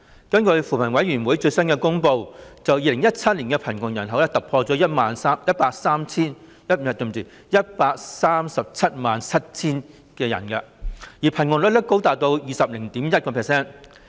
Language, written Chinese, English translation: Cantonese, 根據扶貧委員會最新公布的資料 ，2017 年的貧窮人口突破 1,377 000人，貧窮率高達 20.1%。, According to the latest information published by the Commission on Poverty the poor population broke the 1 377 000 - people mark in 2017 and the poverty rate is as high as 20.1 %